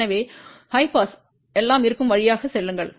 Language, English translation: Tamil, So, at high pass everything will go through